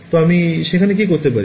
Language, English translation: Bengali, So, what can I do over there